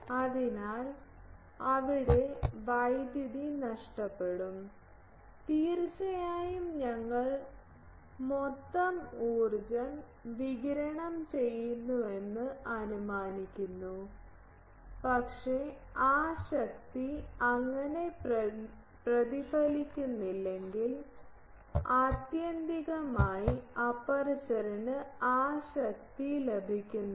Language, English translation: Malayalam, So, power is lost there and definitely then we are assuming total power radiated, but if that power is not reflected so, ultimately aperture is not getting that power